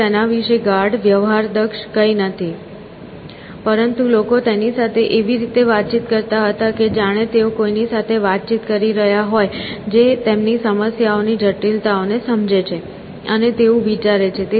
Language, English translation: Gujarati, It is nothing deep sophisticated about it, but people used to interact with it as if they were interacting with somebody who understood the complexities of their problems and thinks like that essentially